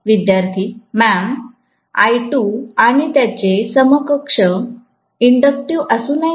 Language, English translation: Marathi, Ma’am I2 and its equivalent should not be inductive